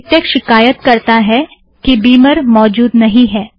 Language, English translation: Hindi, MikTeX complains that Beamer is missing